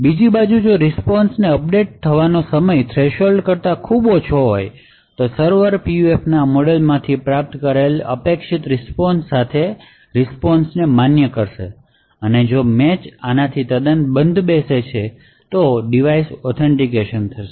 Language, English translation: Gujarati, On the other hand, if the time to update the response is very short much lesser than the threshold then the server would validate the response with the expected response obtained from this model of the PUF, and if the match is quite closed to this to the expected response than the device would get authenticated